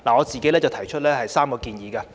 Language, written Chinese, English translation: Cantonese, 就此，我提出3項建議。, To this end I have three suggestions to make